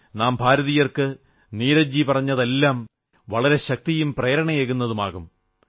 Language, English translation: Malayalam, Every word of Neeraj ji's work can instill a lot of strength & inspiration in us Indians